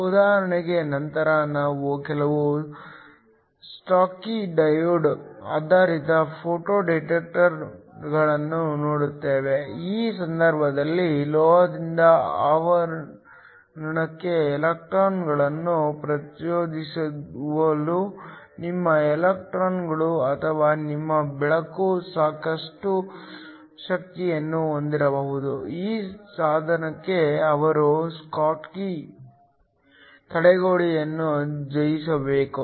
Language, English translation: Kannada, For example, later we will look at some schottky diode based photo detectors, in which case your electrons or your light can have sufficient energy in order to excite the electrons from the metal to the semiconductor, in which case they will have to overcome the schottky barrier